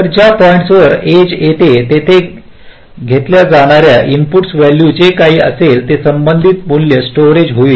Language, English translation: Marathi, so exactly at the point where the edge occurs, whatever is the input value, that will be taken and the corresponding value will get stored